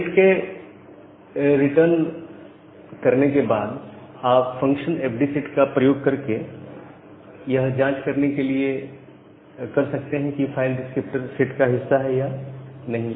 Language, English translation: Hindi, So, after select returns you can use the function called FD set to test, whether a file descriptor is a part of that set